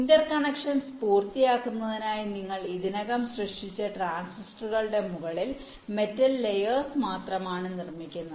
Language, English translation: Malayalam, you only fabricate the metal layers on top of the transistors that you already created in order to complete the interconnections